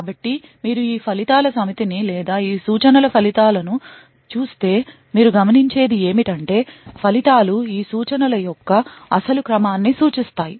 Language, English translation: Telugu, So, you look at this set of results or the results of these instructions and what you notice is that the results correspond to the original ordering of these instructions